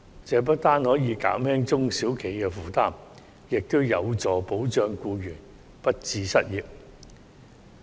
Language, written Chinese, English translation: Cantonese, 這不單可以減輕中小企的負擔，亦有助保障僱員不致失業。, This will not only ease the burden on SMEs but also help protect employees from losing their jobs